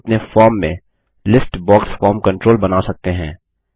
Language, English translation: Hindi, Now, we will place a List box form control here